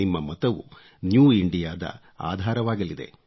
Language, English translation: Kannada, Your vote will prove to be the bedrock of New India